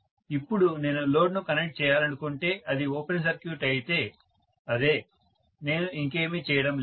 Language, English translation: Telugu, Now if I want to connect the load, if it is an open circuit, that is it, I am not doing anything further